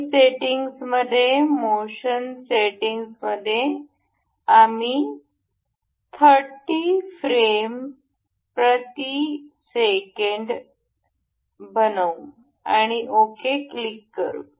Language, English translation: Marathi, And in the settings, motion settings, we will make the frames per second as say 30, you click ok